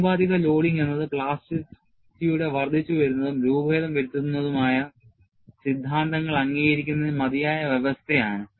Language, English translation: Malayalam, Proportional loading is a sufficient condition for the incremental and deformation theories of plasticity to agree